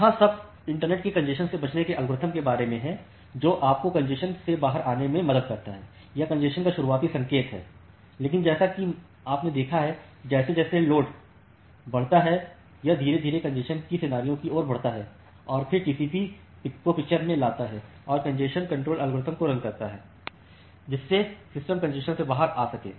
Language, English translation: Hindi, So, that is all about this congestion avoidance algorithm in the internet, which helps you to come out of congestion or have a early signature of congestion, but as you have seen that as the load increase gradually it moves towards the scenario of congestion and then TCP should come in the picture and run it congestion control algorithm, to make the system come out of congestion